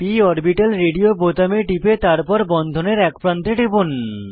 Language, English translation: Bengali, Click on p orbital radio button then click on one edge of the bond